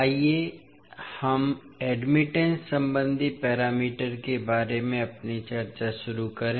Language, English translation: Hindi, So, let us start our discussion about the admittance parameters